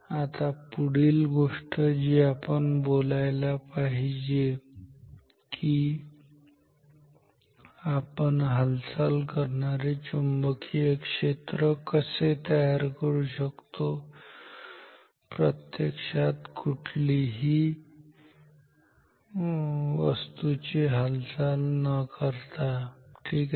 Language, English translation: Marathi, Now next thing we will talk about is how we can create a moving magnetic field without physically moving any object ok